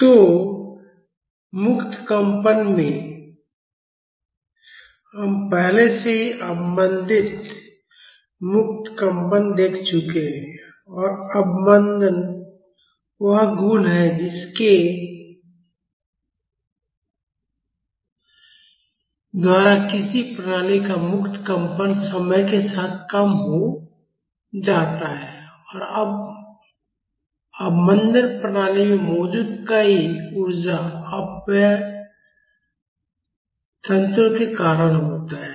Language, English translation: Hindi, So, in free vibrations, we have already seen damped free vibrations and damping is the property by which the free vibration of a system diminishes with time and damping is because of many energy dissipation mechanisms present in the system